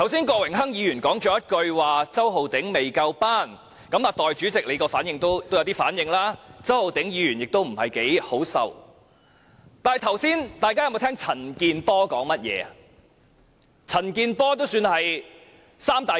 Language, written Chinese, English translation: Cantonese, 郭榮鏗議員剛才說周浩鼎議員"未夠班"，代理主席有些反應，周浩鼎議員也不太好受，但大家剛才有否聽到陳健波議員說甚麼？, When Mr Dennis KWOK accused Mr Holden CHOW of being not up to par just now the Deputy President reacted and Mr Holden CHOW felt uneasy . But did Members hear the remarks made by Mr CHAN Kin - por?